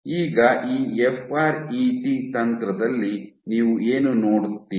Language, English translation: Kannada, So, now, what do you do in this FRET technique